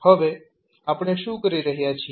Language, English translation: Gujarati, Now, what we are doing